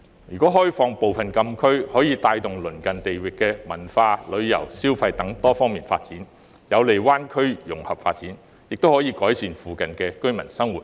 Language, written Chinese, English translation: Cantonese, 如果開放部分禁區，可以帶動鄰近地域的文化、旅遊、消費等多方面發展，有利灣區融合發展，亦可改善附近居民生活。, Partially opening up the closed area can promote the development of culture tourism and consumption in the neighbouring areas which is conducive to the integration and development of the Bay Area . It can also improve the living of the residents in the neighbourhood